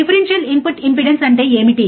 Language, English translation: Telugu, What is differential input impedance